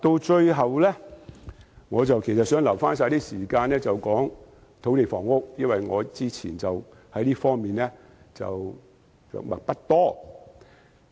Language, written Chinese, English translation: Cantonese, 最後，我想預留一點時間談談土地房屋，因為我以前就這方面的着墨不多。, Lastly I would like to leave some time to say a few words about land and housing because I have not discussed this area at great lengths